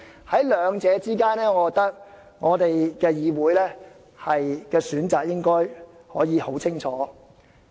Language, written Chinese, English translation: Cantonese, 在兩者之間，我認為議會的選擇應該可以很明確。, I think the legislatures choice between the two should be crystal clear